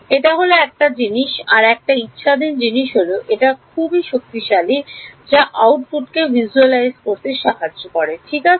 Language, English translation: Bengali, This is ok, this is one thing another optional thing can be which is very powerful is visualizing the output ok